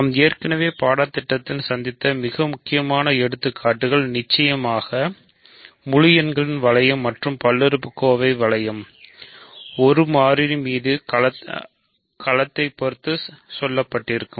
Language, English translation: Tamil, So, the most important examples that we have encountered already in the course are of course, the ring of integers and the polynomial ring in one variable over a field right